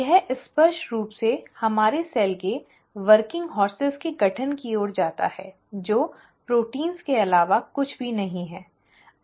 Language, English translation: Hindi, It obviously leads to formation of the working horses of our cell which nothing but the proteins